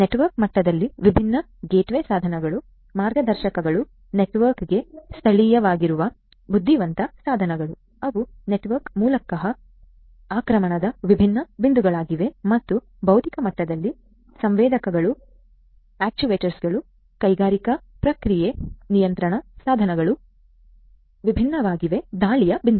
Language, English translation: Kannada, At the network level the different gateway devices, routers, intelligent devices which are local to the network, those are different points of attack through the network and at the physical level the sensors, the actuators, the industrial process control devices, those are the different points of attacks